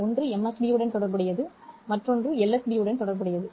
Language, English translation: Tamil, So this is the MSB portion and this is the LSB portion